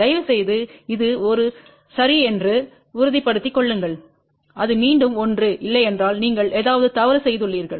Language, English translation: Tamil, Please ensure this has to be 1 ok, if it is not 1 again you have done something wrong